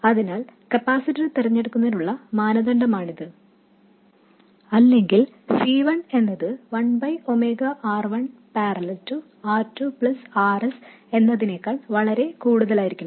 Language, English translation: Malayalam, So, this is the criterion for choosing the capacitor or C1 must be much greater than 1 by omega R1 parallel R2 plus RS and so on